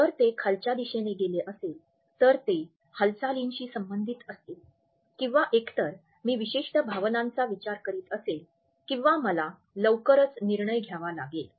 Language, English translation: Marathi, If it is downward then it is related with kinesitic decisions either I am thinking about certain feelings or I have to take a decision soon